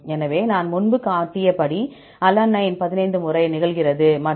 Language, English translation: Tamil, So, as say I showed earlier, alanine occurs 15 times and the composition is 10